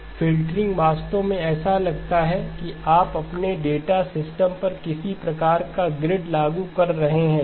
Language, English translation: Hindi, The filtering actually looks like you are applying some kind of a grid onto your data system okay